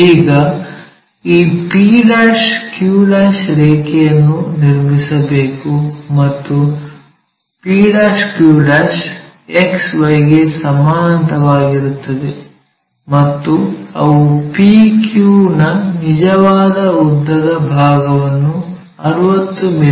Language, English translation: Kannada, Now, we have to draw this p q line p q' are parallel to XY, and they are representing true length side of p q's which are 60 mm things